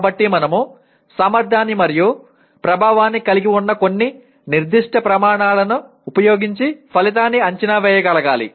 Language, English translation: Telugu, So I must be able to evaluate the outcome using or rather against some specific criteria which are efficiency and effectiveness